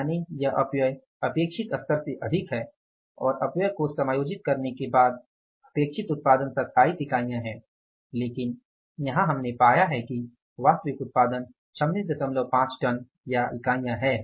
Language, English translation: Hindi, It means it is more than the expected level of the wastage and the output after adjusting for the wastage is expected was 27 units but we have found out here is that actually yield is 26